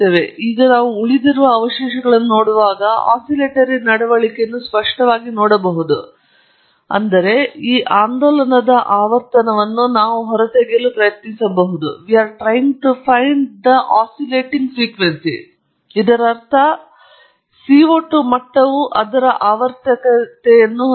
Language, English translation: Kannada, Now, when we look at these residuals here, we can clearly see an oscillatory behavior, which means we can now try to extract the frequency of this oscillation; that means, the CO 2 level has a periodicity to it